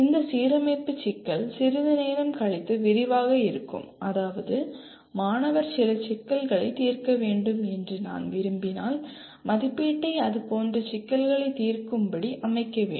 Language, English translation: Tamil, This alignment issue will be elaborating a little later that means if I want the student to be able to solve certain problems assessment should also ask him to solve problems